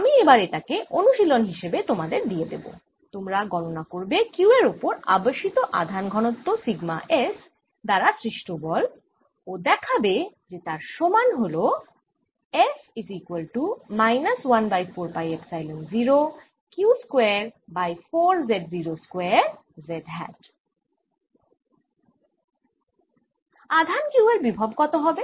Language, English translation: Bengali, i'll leave this as an exercise for you: to calculate force on q by the induced charge density sigma s, z naught and show that this is equal to this